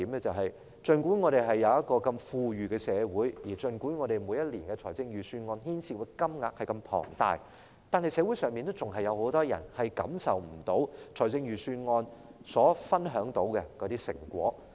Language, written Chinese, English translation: Cantonese, 儘管我們是如此富裕的社會，每年預算案牽涉的金額如此龐大，可是，社會上仍然有很多人未能享受預算案所分享的成果。, Although we are such a rich society and the Budget involves such a huge amount every year many people in society have not yet been able to enjoy the fruits shared by the Budget